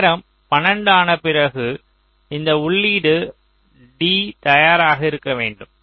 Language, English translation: Tamil, so after a time twelve, this input of d should be ready